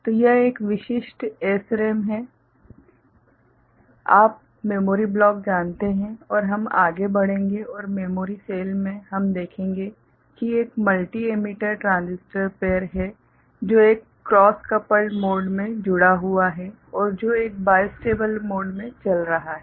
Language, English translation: Hindi, So, this is a typical SRAM you know memory block and we shall move forward and in the memory cell, we shall see that there is a multi emitter transistor pair, connected in a cross coupled mode and which is operating in a bistable mode as well that is either it is one transistor is ON or it is OFF ok